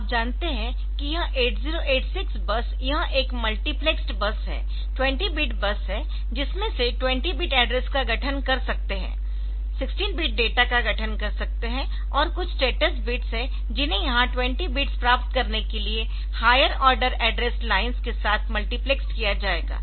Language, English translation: Hindi, So, this 8086 bus you know that this is a multiplexed bus 20 bit 20 bit bus out of which 20 bits can constitute the address; 16 bits can constitute data, and there are some status bits that will be multiplexed with higher order address lines to get 20 bits here ok